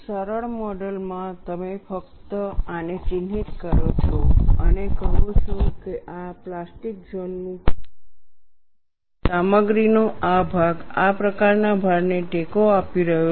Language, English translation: Gujarati, The simplistic model, you simply mark this and set that, this is the size of the plastic zone whereas, this stretch of material was supporting a load like this